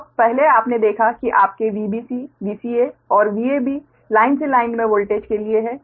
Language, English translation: Hindi, so earlier you have seen that your v b c, v c a and v a b right for line to line voltage, right